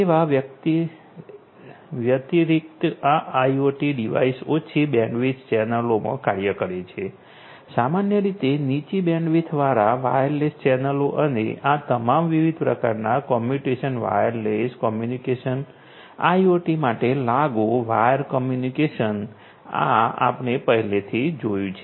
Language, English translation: Gujarati, Plus these devices, IoT devices operate in low bandwidth channels; typically, low bandwidth wireless channels and all these different types of; different types of communication wireless communication, wire communication applicable for IoT these are the ones that we have already seen